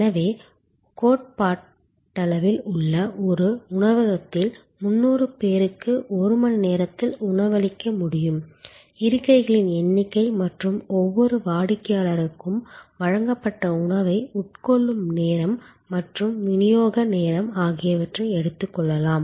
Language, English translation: Tamil, So, there could be there is a possibility that theoretically 300 people can be feed in a restaurant in an hour, if you look at the number of seats and time it takes for each customer to consume the food provided including of course, the delivery time, etc